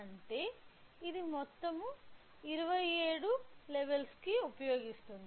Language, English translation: Telugu, So, which means it will use a total of approximately 27 levels